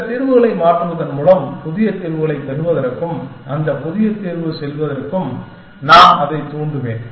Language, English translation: Tamil, I will perturb it by changing some number of bits, to get new solutions and move to that new solution